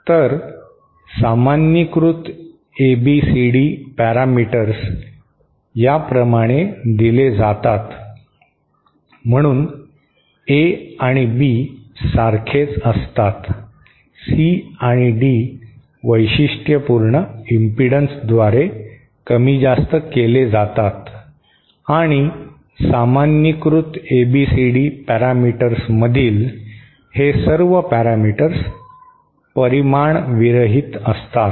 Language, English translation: Marathi, So, normalised ABCD parameters are given like this, so A and B remain the same, C and D are scaled by the characteristic impedances and all these parameters in the normalised ABCD parameters are dimensionless